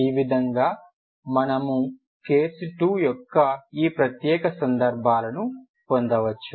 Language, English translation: Telugu, This is how we can get all this special case of the second case 2